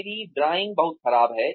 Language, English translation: Hindi, My drawing is pretty bad